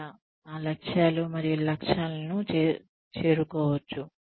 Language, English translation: Telugu, How, those goals and objectives can be met